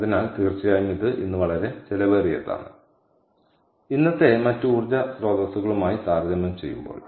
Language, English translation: Malayalam, so definitely its a very costly today and ah, compared to the other sources of energy that we have today